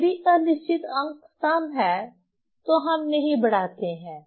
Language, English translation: Hindi, If doubtful digit is even, so you don't increase